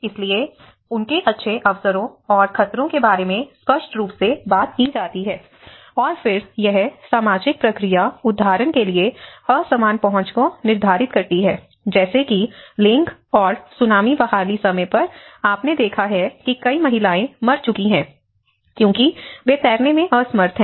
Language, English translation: Hindi, So, there are obviously talks about their good opportunities and the hazards, and then this social process determines unequal access like for example even the gender and Tsunami recovery time you have noticed that many of the women have died because they are unable to swim